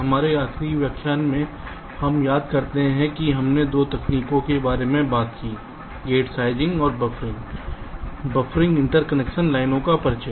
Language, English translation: Hindi, in our last lecture, if we recall, we talked about two techniques: gate sizing and buffering, introducing buffering interconnection lines